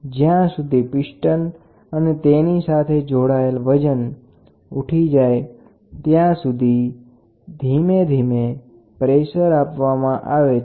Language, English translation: Gujarati, The pressure is applied gradually until enough force is attained to lift the piston and the weight combination